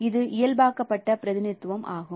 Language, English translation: Tamil, So it is normalized representation